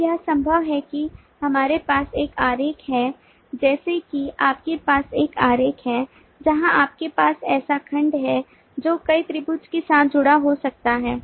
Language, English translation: Hindi, now it is possible that you have a diagram like this: you have a diagram where you have so segment may be associated with multiple triangles